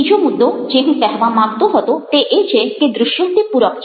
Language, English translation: Gujarati, the second point i want to make was about visual are supplements